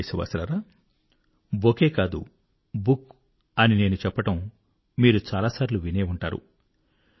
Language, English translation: Telugu, My dear countrymen, you may often have heard me say "No bouquet, just a book"